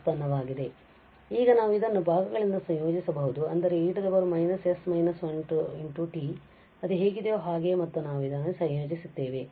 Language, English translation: Kannada, And now we can integrate this by parts that means, e power minus s minus 1 t as it is and we will integrate this one